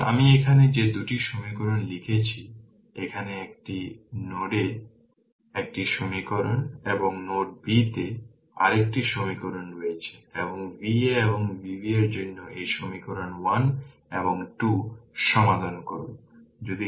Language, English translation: Bengali, So, those 2 equations I have written here, here is one equation at node a another equation at node b and solve this equation 1 and 2 for V a and V b